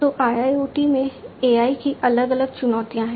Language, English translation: Hindi, So, there are different challenges of AI in IIoT